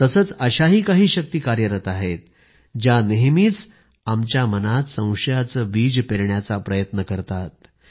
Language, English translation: Marathi, Although, there have also been forces which continuously try to sow the seeds of suspicion in our minds, and try to divide the country